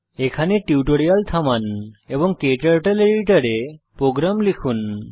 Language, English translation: Bengali, Pause the tutorial here and type the program into your KTurtle editor